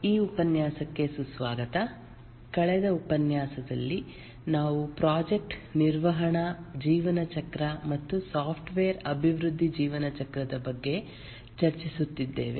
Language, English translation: Kannada, Welcome to this lecture about In the last lecture we are discussing about the project management lifecycle and the software development lifecycle